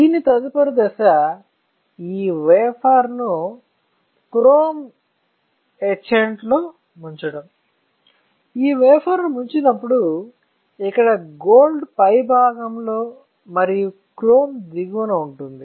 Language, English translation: Telugu, After this the next step would be to dip this wafer in chrome etchant; when you dip this wafer in, there is a chrome gold